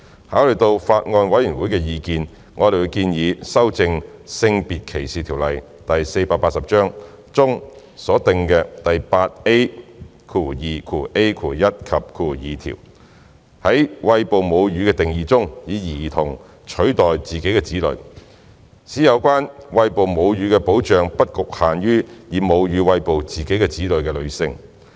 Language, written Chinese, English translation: Cantonese, 考慮到法案委員會的意見，我們建議修正《性別歧視條例》中所訂的第 8A2ai 及條，在"餵哺母乳"的定義中，以"兒童"取代"自己的子女"，使有關餵哺母乳的保障不局限於以母乳餵哺自己的子女的女性。, Having considered the Bills Committees views we propose to amend section 8A2ai and ii of the Sex Discrimination Ordinance Cap . 480 SDO to substitute her child with a child in the definition of breastfeeding so that the scope of protection for breastfeeding will not be limited to women feeding their children with their breast milk